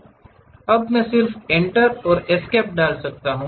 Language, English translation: Hindi, Now, I can just put Enter and Escape